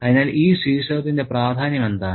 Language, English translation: Malayalam, So, what is the importance of this title